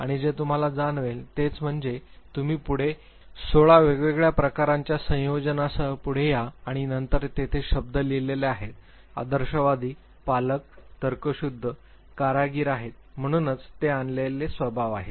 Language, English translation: Marathi, And what you would realize is that say again you come forward with 16 different types of combinations and then there are words written there, idealist, guardian, rational, artisans, so these are the brought temperaments